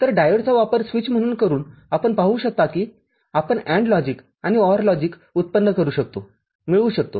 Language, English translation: Marathi, So, using diode as a switch we can see that we can generate, we can get AND logic and OR logic